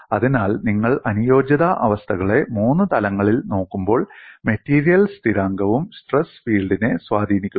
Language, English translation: Malayalam, So, when you look at the compatibility conditions in three dimensions, material constant also influences the stress field